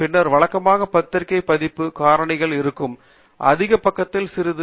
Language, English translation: Tamil, Then, normally, it will have journal impact factors, a little bit on the higher side